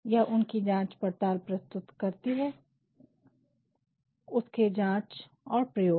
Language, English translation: Hindi, It presents his investigation, his testing and experimentation